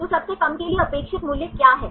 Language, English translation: Hindi, So, what is the expected value for the lowest one